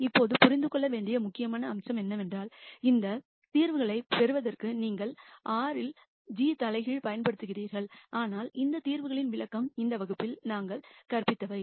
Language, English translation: Tamil, Now, the key point to understand is you simply use g inverse in R to get these solutions, but the interpretation of these solutions is what we have taught in this class